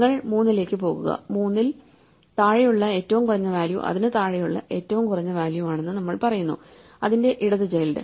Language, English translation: Malayalam, So, you go to three now we say that the minimum value below three is the minimum value below it is left child